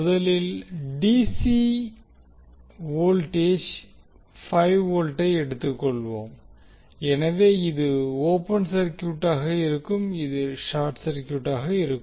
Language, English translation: Tamil, First, let us take the DC voltage 5 Volt so this will be open circuited, this will be short circuited